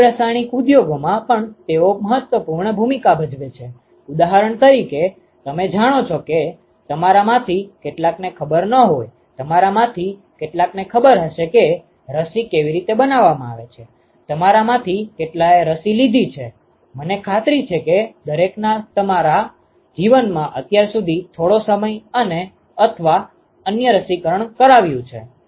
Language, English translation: Gujarati, They also play a strong role in biochemical industries for example; you know some of you may not know, some of you may know how a vaccine is made; how many of you have had vaccinations, I am sure everyone has had vaccinations some time or other in your life so far